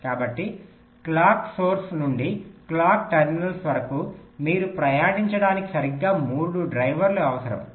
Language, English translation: Telugu, so from the clock source to the clock terminals, you need exactly three drivers to be traversed